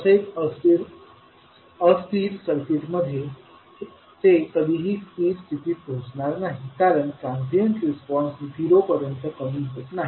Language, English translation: Marathi, Now in unstable circuit it will never reach to its steady state value because the transient response does not decay to zero